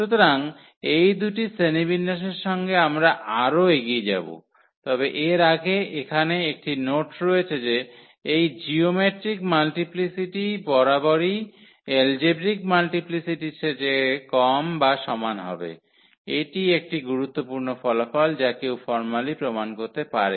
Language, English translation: Bengali, So, with these two classification we will move further, but before that there is a note here, that this geometric multiplicity is always less than or equal to the algebraic multiplicity, that is a important result which one can formally prove